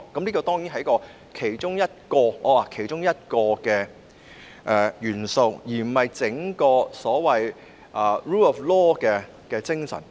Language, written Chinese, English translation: Cantonese, 這當然只是其中一項元素，而非 rule of law 的整體精神。, Certainly this is merely one of the elements but not the overall spirit of the rule of law